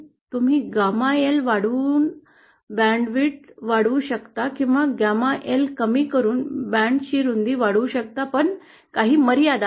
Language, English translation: Marathi, You can increase, decrease the band width by increasing gamma L or by decreasing gamma L you can increase the band width, But there are some limitations